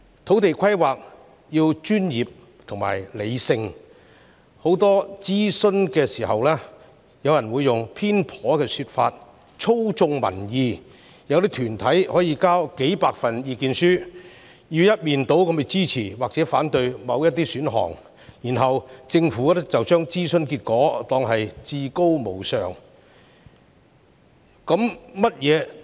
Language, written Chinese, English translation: Cantonese, 土地規劃必須專業和理性，但諮詢期間經常有人以偏頗的說法操縱民意，有些團體則提交數百份意見書，一面倒支持或反對某些選項，政府隨後卻把這些諮詢結果當作至高無上。, Land planning requires professionalism and rationalism . However during the consultation some people manipulated public sentiment with biased arguments . There were also certain groups sending hundreds of submissions to express overwhelming support or opposition for particular options